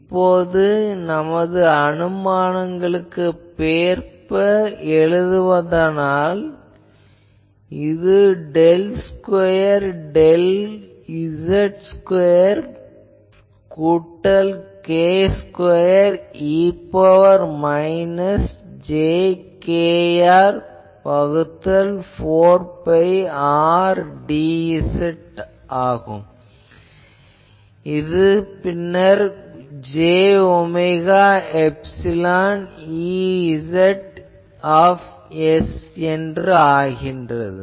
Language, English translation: Tamil, And, now specializing these for our all those assumptions, we can write that this is del square del z square plus k square e to the power minus j k R by 4 pi R d z dashed is equal to j omega epsilon E z s from Z directed Z by s